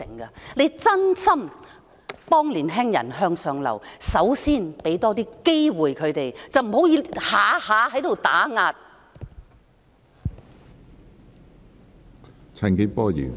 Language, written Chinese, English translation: Cantonese, 如當局真心幫青年人向上流，首先要給他們多些機會，不要動輒打壓。, If the Government truly wants to improve the upward mobility of young people it should give them opportunities instead of oppressing them at will